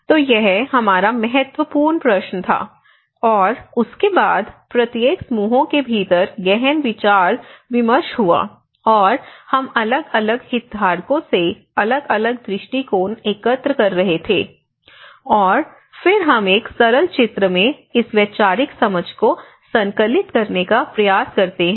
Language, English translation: Hindi, So this was our main important questions and after that is the thorough discussions happen within each groups, and we are collecting different viewpoints from different stakeholders, and then we try to compile in this one simple diagram a conceptual understanding